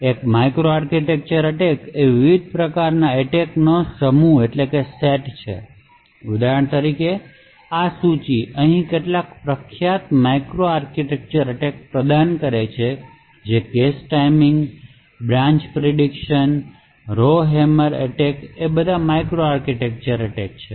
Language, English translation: Gujarati, So, a micro architectural attack is essentially a class of different types of attacks for example this list here provides some of the famous micro architectural attacks so the cache timing, branch prediction, row hammer types of attacks are all micro architectural attacks